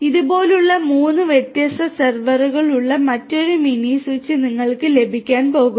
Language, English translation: Malayalam, Then you are going to have similarly another mini switch with three different servers like this